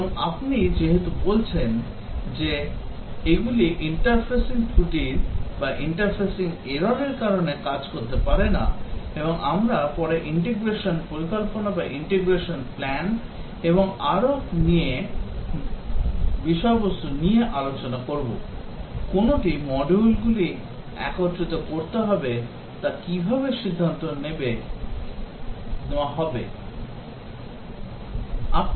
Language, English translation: Bengali, And as you are saying they may not work because of the interfacing errors and we will later discuss about the integration plans and so on, how does one decide which modules to integrate together